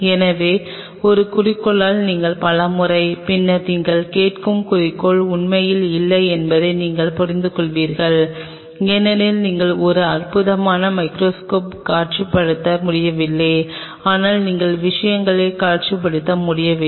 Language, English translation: Tamil, So, many a times you by an objective and then you realize that objective is not really the objective you are asking for because you are unable to visualize a wonderful microscope, but you are unable to visualize things